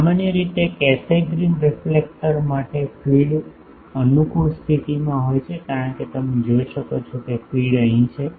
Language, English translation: Gujarati, In general for Cassegrain reflectors feed is in a convenient position as you can see that feed is here